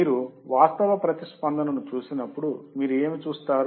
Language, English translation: Telugu, But when you see actual response, what you will see